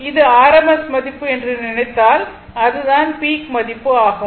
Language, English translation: Tamil, Now this one if you think that your rms value this is the peak value